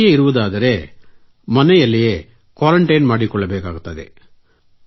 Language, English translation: Kannada, Sir, even if one stays at home, one has to stay quarantined there